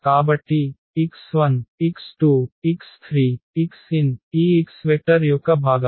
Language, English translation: Telugu, So, x 1, x 2, x 3, x n are the components of this x vector